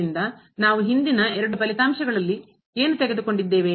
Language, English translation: Kannada, So, what we have taken in the previous two results that is and is